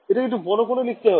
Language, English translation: Bengali, We should write it bigger